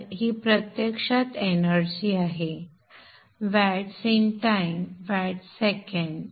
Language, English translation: Marathi, So this is actually the energy, vats into time, watt seconds